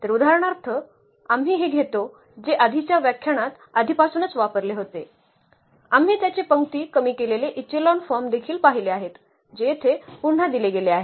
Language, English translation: Marathi, So, for instance we take this A, which was already used in previous lectures we have also seen its row reduced echelon form which is given here again